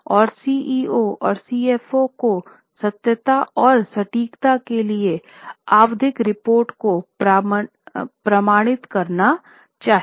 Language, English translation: Hindi, Then CEOs and CFOs must certify the periodic reports for truthfulness and accuracy